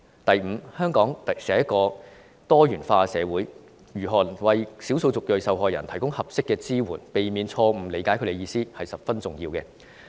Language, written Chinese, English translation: Cantonese, 第五，香港是多元化的社會，如何為少數族裔受害人提供合適的支援，避免誤解他們的意思十分重要。, Fifthly Hong Kong is a multi - dimensional society . It is important for us to provide ethnic minority victims with appropriate support in order to prevent any misunderstanding in what they want to say